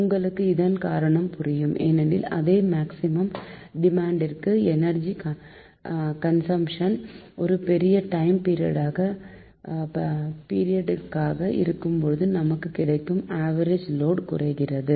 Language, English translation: Tamil, the reason for this is that for the same maximum demand, the energy consumption cover a larger time period and results in a smaller average load